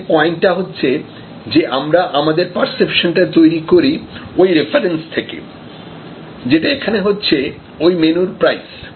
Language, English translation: Bengali, So, the point is that, we then compare our perception with respect to that reference value, which is the menu value